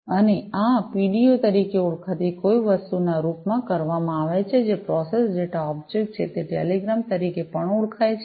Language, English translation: Gujarati, And, this is done in the form of something known as the PDO, which is the Process Data Object, it is also known as the telegram